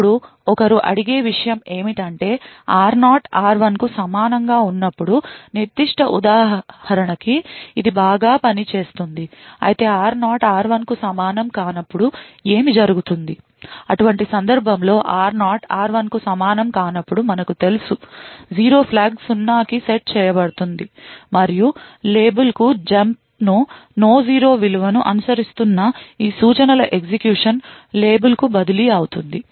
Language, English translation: Telugu, Now the thing which one would ask is this would work fine for the specific example when r0 is equal to r1, but what would happen when r0 is not equal to r1, well in such a case when r0 is not equal to r1 we know that the 0 flag would be set to zero and the jump on no 0 to label would result in the execution being transferred to these instruction that is following the label